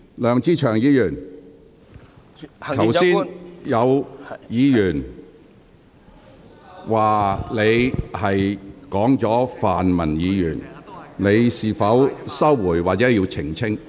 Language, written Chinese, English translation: Cantonese, 梁志祥議員，剛才有議員指你提及泛民議員，你會否收回言論或作出澄清？, Mr LEUNG Che - cheung a Member has pointed out just now that you mentioned pan - democratic Members in your speech . Will you withdraw your remark or make a clarification?